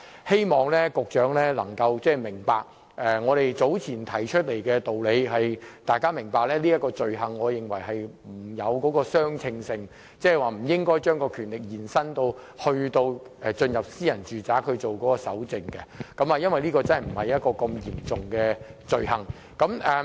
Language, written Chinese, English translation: Cantonese, 希望局長明白，我們早前提出來的理由是，我們認為這點與罪行沒有相稱性，即不應將權力延伸至進入私人住宅進行蒐證，因為這不涉及很嚴重的罪行。, I hope the Secretary understands the reason why we raise the question . It is because we consider the action is disproportionate to the crime that is the power should not be extended to entering and searching a domestic premises because that is not a very serious crime